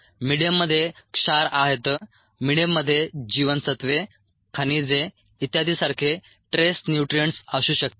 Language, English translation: Marathi, the medium could contain trace nutrients such as vitamins, minerals and so on